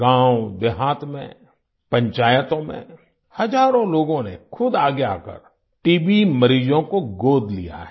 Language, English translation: Hindi, Thousands of people in villages & Panchayats have come forward themselves and adopted T